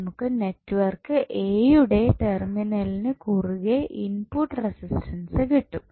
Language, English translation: Malayalam, So, what will you get from this, we will get input resistance across the terminals of network A